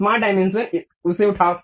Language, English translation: Hindi, Smart dimension, pick that